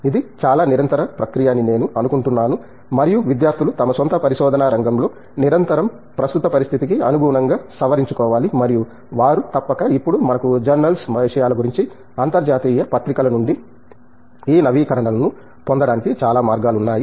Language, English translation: Telugu, I think it should be a very continues process and students must continuously update in their own research area and they should, now a days we have plenty of avenues for getting these updates from international journals about the journals contents and so on